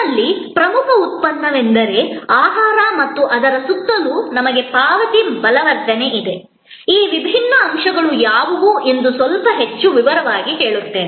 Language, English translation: Kannada, That you have the core product is food and around it we have payment consolidation, let me go through a little bit more in detail that what are this different elements